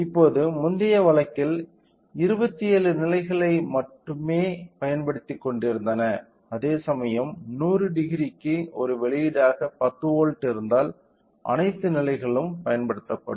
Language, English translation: Tamil, So, that now in previous case only 27 levels were utilising whereas, if we have 10 volts as an output for a 100 degree all the levels will be utilised